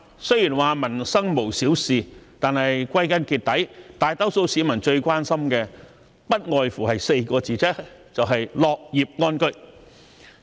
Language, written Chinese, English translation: Cantonese, 雖說民生無小事，但歸根結底，大多數市民最關心的不外乎4個字，就是"樂業安居"。, While nothing about peoples livelihood is trivial at the end of the day the majority of the public are most concerned about working in contentment and living in peace